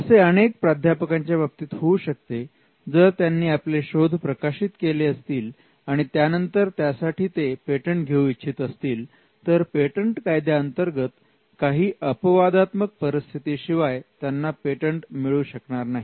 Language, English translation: Marathi, This could be a case that many professors may come across, they have published their research and then they want to patent it only to realize that patent law does not allow them to first publish and then patent; except in exceptional circumstances